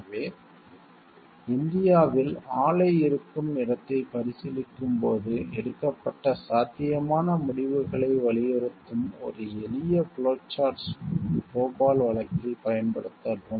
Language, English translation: Tamil, So, application of a simple flowchart to the Bhopal case emphasizing the possible decisions made during consideration of the location of the plant in India